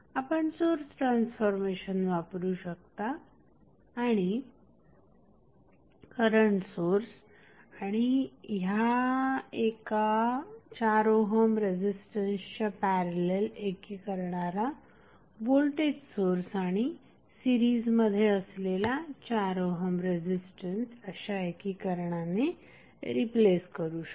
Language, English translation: Marathi, You can apply source transformation and you can solve it by converting the combination of current source in parallel with 4 ohm resistance with the voltage source in series with 4 ohm resistance that is the source transformation technique which we studied earlier